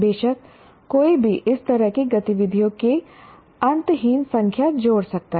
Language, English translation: Hindi, Of course, one can add endless number of such activities